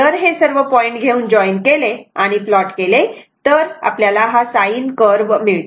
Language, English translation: Marathi, And if you take all these point and join it and plot it, it will be a sin curve, right